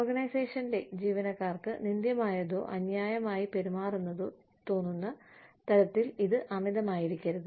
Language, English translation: Malayalam, It should not be too much, so that, the organization's employees, do not feel slighted, or treated unfairly